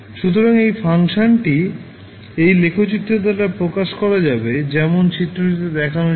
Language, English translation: Bengali, So, this function will be represented by this particular graph as you are seeing in the figure